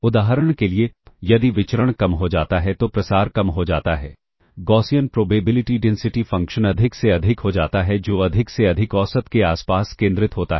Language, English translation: Hindi, For instance, of the variance decreases then the spread decreases, the Gaussian probability density function becomes more and more, peakier